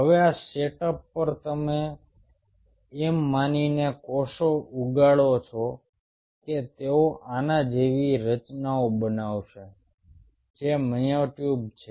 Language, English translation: Gujarati, now, on this setup, you grow the cells, assuming that they will form structures like this, which are the myotubes